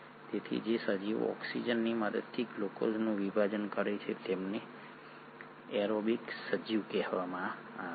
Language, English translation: Gujarati, So, those organisms which break down glucose with the aid of oxygen are called as the aerobic organisms